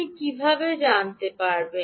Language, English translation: Bengali, what you will see